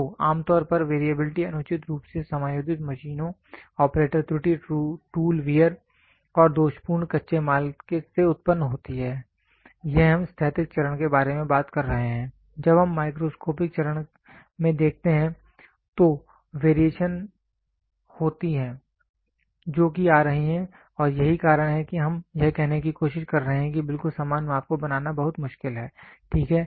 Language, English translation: Hindi, So, usually variability arises from improperly adjusted machines, operator error, tool wear and or defective raw material, this we are talking about the macroscopical stage when you look into the microscopical stage, there are variations which are coming into and that is why we are trying to say this identical measurements are very difficult to be made, ok